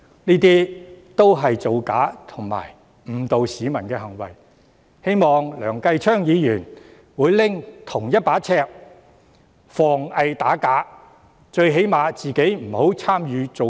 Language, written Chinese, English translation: Cantonese, 這些也是造假及誤導市民的行為，希望梁繼昌議員會採用同一把尺防偽打假，最低限度他本人不要參與造假。, These are also acts to deceive and mislead members of the public so I hope Mr Kenneth LEUNG will apply the same principle against bogus claims . At least he himself should not involve in any of these bogus acts